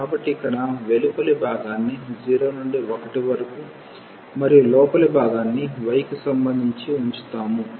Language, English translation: Telugu, So, here the outer one we keep as 0 to 1 and the inner one with respect to y